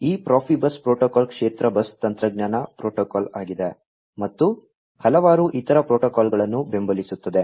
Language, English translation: Kannada, This Profibus protocol is a field bus technology protocol and supports several other protocols